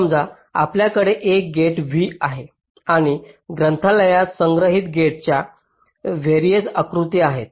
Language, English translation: Marathi, suppose we have a gate v and there are three versions of the gates which are stored in the library